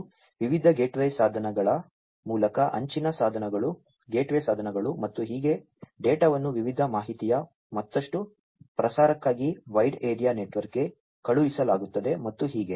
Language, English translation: Kannada, And through the different gateway devices, edge devices, gateway devices and so on the data are sent to the wide area network for further dissemination of different information and so on